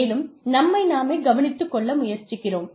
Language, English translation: Tamil, And, we are trying to take care of ourselves